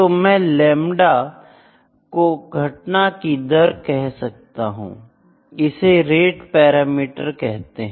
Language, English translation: Hindi, The lambda is event rate also it is called the rate parameter